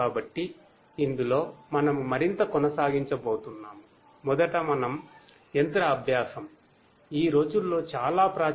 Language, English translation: Telugu, So, in this, we are going to continue further